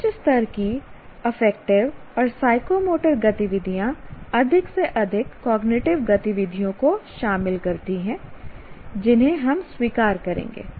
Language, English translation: Hindi, And higher levels of affective and psychomotor activities involve more and more cognitive activities that we will acknowledge